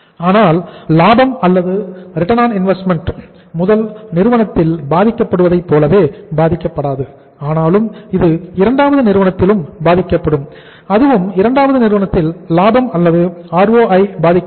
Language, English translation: Tamil, But the profitability or ROI will not be impacted in the same way as it is being impacted in the first firm but it will also be impacted in the second firm too and that too the profitability or ROI of second firm will also improve